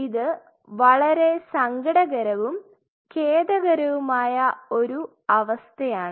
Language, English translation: Malayalam, It is a kind of a very sad and a very sorry state of affair